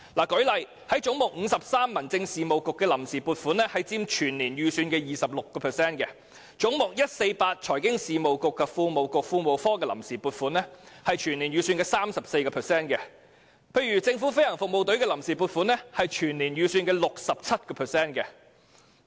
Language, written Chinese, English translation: Cantonese, 舉例來說，在"總目53 ─政府總部：民政事務局"的臨時撥款佔全年預算的 26%；" 總目148 ─政府總部：財經事務及庫務局"的臨時撥款佔全年預算 34%；" 總目166 ─政府飛行服務隊"的臨時撥款更佔全年預算 67%。, For example the funds on account under Head 53―Government Secretariat Home Affairs Bureau account for 26 % of the estimated annual expenditure; the funds on account under Head 148―Government Secretariat Financial Services and the Treasury Bureau account for 34 % of the estimated annual expenditure; while the funds on account under Head 166―Government Flying Service even account for 67 % of the estimated annual expenditure